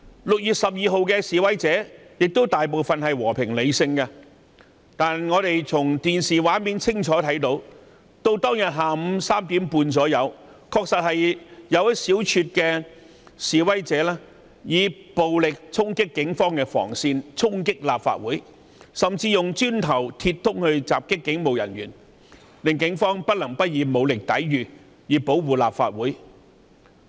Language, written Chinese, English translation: Cantonese, 6月12日，大部分示威者同樣和平理性，但我們從電視畫面清楚看到，當天下午大約3時半，確有一小撮示威者以暴力衝擊警方防線及立法會，甚至用磚頭及鐵枝襲擊警務人員，令警方不能不以武力抵禦，以保護立法會。, On 12 June most of the protesters were also peaceful and rational but as seen on television the police cordon line and the Legislative Council Complex were violently charged by a handful of protesters at about 3col30 pm . Some of them even attacked police officers with bricks and metal poles . The Police could not but use force to guard the Legislative Council Complex